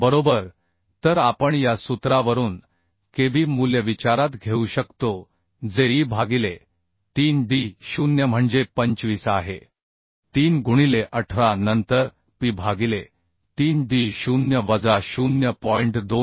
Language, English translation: Marathi, 6 means 31 mm right So now we can find out the value of kb as we know kb is the e by 3d0 that means 31 by 3 into 18 and p by 3 dd 0minus 0